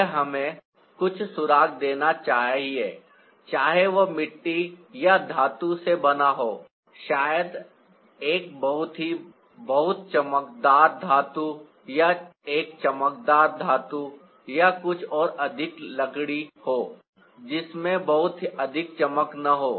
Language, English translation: Hindi, it should give us some clue whether it's made out of clay or metal, maybe a very, very shiny metal or a glossy metal or something maybe more wooden that has have much of a glow